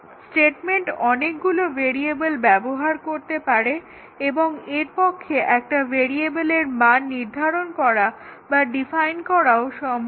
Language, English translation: Bengali, The statement may use many variables and it is possible that it can assign value or defines value of one variable